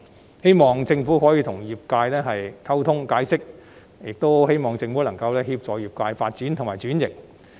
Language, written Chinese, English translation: Cantonese, 我希望政府可與業界溝通以作解釋，以及能夠協助業界發展和轉型。, I hope the Government can communicate with and explain to the industry and provide assistance in its development and restructuring